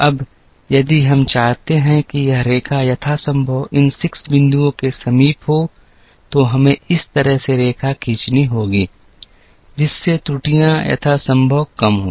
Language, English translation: Hindi, Now, if we want this line to be as close to these 6 points as possible, then we will have to draw the line in such a manner, that the errors are as small as possible